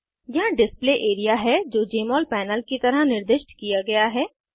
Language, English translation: Hindi, Here is the Display area, which is referred to as Jmol panel